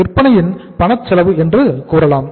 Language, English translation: Tamil, You can say cash cost of sales, cash cost of sales